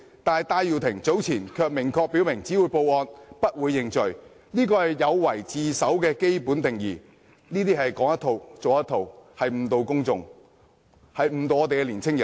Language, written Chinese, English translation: Cantonese, 但是，戴耀廷早前卻明確表示只會報案，不會認罪，這是有違自首的基本定義，是說一套，做一套，誤導公眾，誤導年青人。, However Benny TAI claimed earlier that he would only report to the Police but would not plead guilty which is contrary to the basic definition of surrender . He is preaching one thing but doing quite another misleading the public and young people